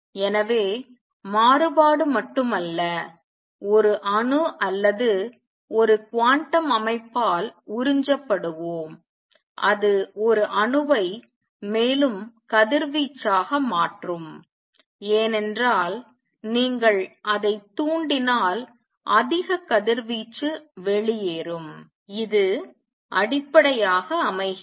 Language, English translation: Tamil, So, not only variation let us absorbed by an atom or a quantum system it can also make an atom radiate more, because if you stimulates it to radiate more radiation would come out and this forms the basis